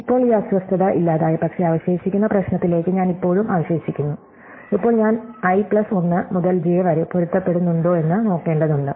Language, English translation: Malayalam, So, now, this disturbance is gone, but I am still left to the rest to the problem, so now, I have to now see if i plus 1 onwards matches j onwards